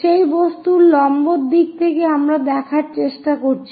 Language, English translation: Bengali, In the perpendicular direction to that object we are trying to look at